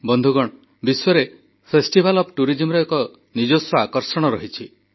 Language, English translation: Odia, Friends, festival tourism has its own exciting attractions